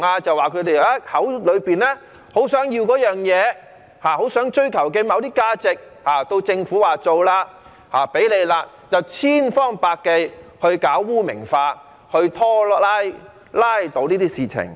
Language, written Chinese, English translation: Cantonese, 就是他們口口聲聲說很想要某些東西，很想追求某些價值，但到政府說要做的時候，他們卻千方百計搞污名化，拉倒這些事情。, They keep claiming that they want something very much and they want to pursue certain values but when the Government says it will do it they will then try to stigmatize it by all means to pull it down